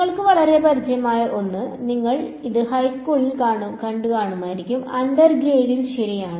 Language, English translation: Malayalam, Something which is very familiar to you, you would have seen it in high school, undergrad alright